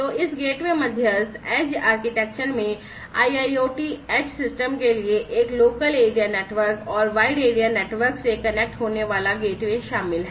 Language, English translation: Hindi, So, this gateway mediated edge architecture consists of a local area network for the IIoT edge system and the gateway connecting to the wide area network